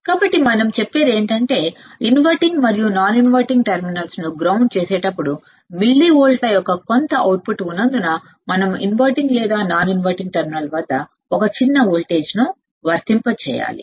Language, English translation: Telugu, So, what we are saying that because the output when we ground the inverting and non inverting terminal because there is some output of millivolts, we have to apply we have to apply a small voltage at either inverting or non inverting terminal at either inverting or non inverting terminal to make the output voltage 0, you got it